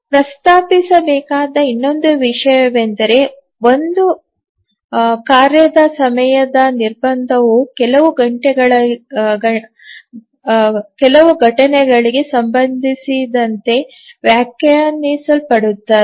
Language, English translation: Kannada, Now another thing that we want to mention is that the timing constraint on a task is defined with respect to some event